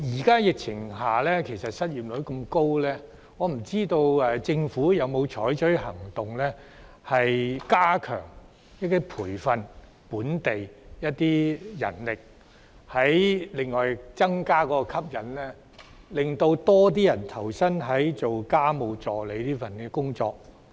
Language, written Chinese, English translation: Cantonese, 鑒於現時失業率高企，政府有否採取行動加強培訓本地家務助理，並增加工作吸引力，令更多人願意投身這份工作？, Given the high unemployment rate at present has the Government taken actions to enhance the training for local domestic helpersDHs and the attractiveness of the job so that more people are willing to take up the work?